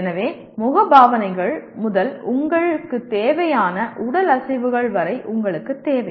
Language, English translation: Tamil, So you require right from facial expressions to body movements you require